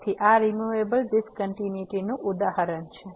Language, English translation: Gujarati, So, this is the example of the removable discontinuity